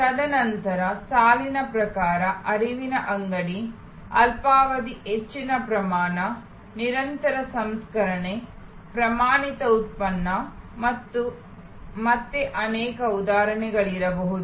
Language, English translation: Kannada, And then, there can be line type, flow shop, short duration, high volume, continuous processing, standard product and again, there can be many instances